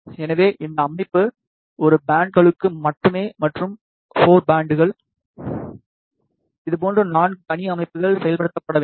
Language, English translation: Tamil, So, this system is only for a single band and for 4 bands, 4 such separate systems have to be implemented